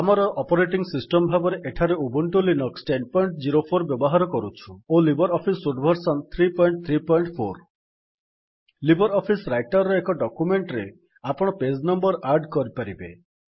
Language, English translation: Odia, Here we are using Ubuntu Linux 10.04 and LibreOffice Suite version 3.3.4 LibreOffice Writer allows you to add page numbers to a document